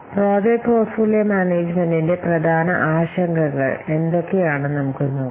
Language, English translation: Malayalam, Let's see what are the important concerns of project portfolio management